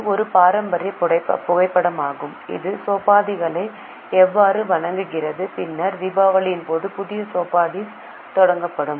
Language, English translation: Tamil, This is a traditional photo how the chopris used to be worshipped and then the new chopries will be started during Diwali